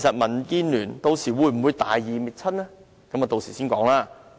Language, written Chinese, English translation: Cantonese, 民建聯會否大義滅親，留待稍後再談。, We will see later if DAB can sacrifice consanguinity for the sake of righteousness